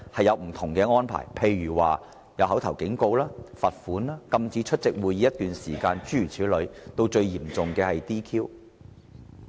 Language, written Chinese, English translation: Cantonese, 如作出口頭警告、罰款、禁止出席會議一段時間等，以至最嚴重的 "DQ"。, For instance punishments can range from giving verbal warnings imposing fines prohibition to attend meetings for a period of time to the most severe punishment of disqualification from office